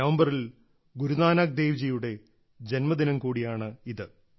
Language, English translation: Malayalam, It is also the birth anniversary of Guru Nanak Dev Ji in November